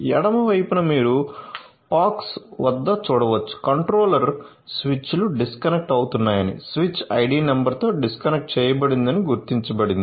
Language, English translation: Telugu, So, in the left hand side you can see at the POX controller it is detected that the switches are disconnecting so, disconnected with the switch id number